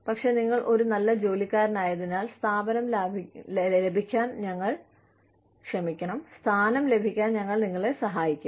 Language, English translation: Malayalam, But, since you been such a good worker, we will help you, get placed